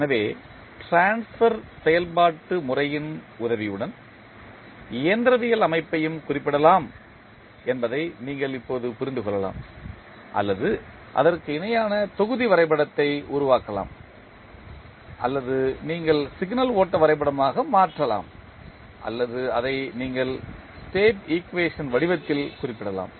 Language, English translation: Tamil, So, you can now understand that the mechanical system can also be represented with the help of either the transfer function method or you can create the equivalent the block diagram or you can convert into signal flow graph or you can represent it in the form of State equation